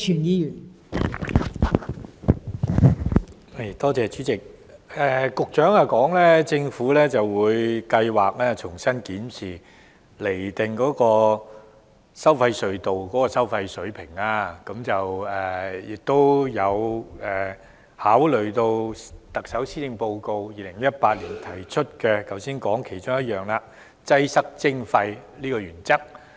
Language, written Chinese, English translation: Cantonese, 代理主席，局長表示政府計劃重新檢視及釐定收費隧道的收費水平，並會考慮特首在2018年施政報告提出的"擠塞徵費"原則。, Deputy President the Secretary stated that the Government planned to re - examine and re - determine the toll levels of the tolled tunnels and would consider the principle of congestion charging proposed in the Chief Executives 2018 Policy Address